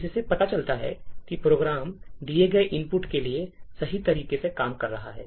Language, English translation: Hindi, But this actually shows that the program is working correctly for the given input